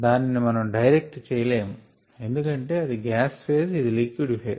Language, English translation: Telugu, we cannot do that directly because this is gas phase, this is liquid phase